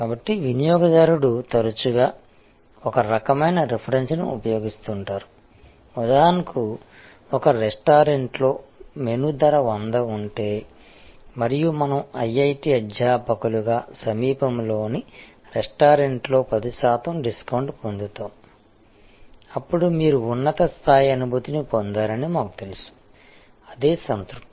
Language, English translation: Telugu, So, customer often use a some kind of reference, for example, if the menu price is 100 in a restaurant and we as IIT faculty get of 10 percent discount in a nearby restaurant, then we feel you know that, you feel a higher level of satisfaction